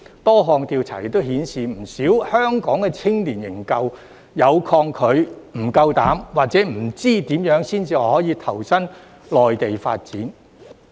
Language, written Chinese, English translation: Cantonese, 多項調查顯示，不少香港青年仍抗拒、不敢或不知如何前往內地發展。, Various surveys show that quite a lot of Hong Kong young people are still reluctant afraid or have no knowledge of how to develop their career in the Mainland